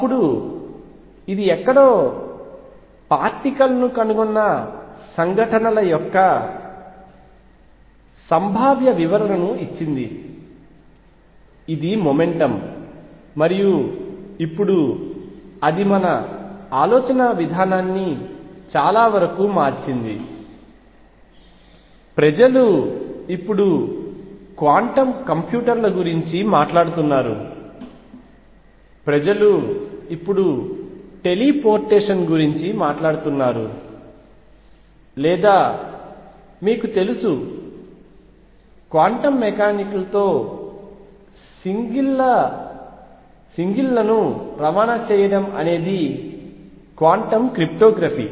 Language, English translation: Telugu, Then it gave a probabilistic interpretation of events finding a particle somewhere what is going to be a momentum and so on and now it has changed our thought process to a large extent people are now talking about quantum computers people are now talking about teleportation or you know transporting singles with quantum mechanics there is quantum cryptography